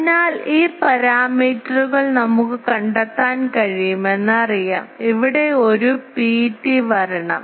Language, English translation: Malayalam, So, these parameters are known we can find what is the, oh ho there is a P t should be coming here